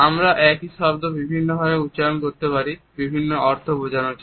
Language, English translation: Bengali, We can pronounce the same word in order to convey different types of meanings